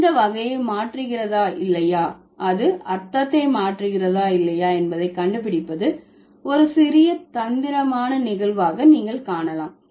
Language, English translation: Tamil, There are a lot of instances where you would find it a little tricky to figure out whether it's going to, whether it's changing the category or not, whether it's changing the meaning or not